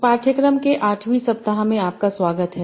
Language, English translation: Hindi, So, hello everyone, welcome to the week 8 of this course